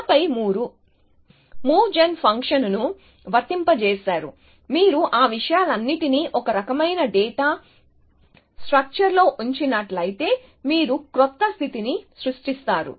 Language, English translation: Telugu, And then you have applied a move gen function and you generate a new state and you put all those things into some kind of a data structure essentially